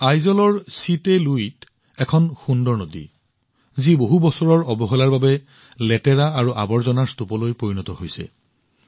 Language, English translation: Assamese, There is a beautiful river 'Chitte Lui' in Aizwal, which due to neglect for years, had turned into a heap of dirt and garbage